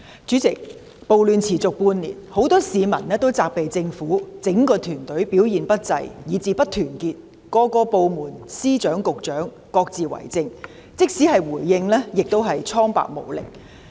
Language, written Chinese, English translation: Cantonese, 主席，暴亂持續半年，很多市民皆責備政府整個團隊表現不濟及不團結，各部門和司局長皆各自為政，連回應亦蒼白無力。, President riots have persisted for half a year . Many people have criticized the whole team of government officials for its poor performance and disunity in the sense that various departments Secretaries of Department and Directors of Bureau work in silos and even their response is feeble